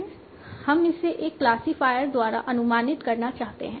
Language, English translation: Hindi, Now what we are going to do, we want to approximate it by a classifier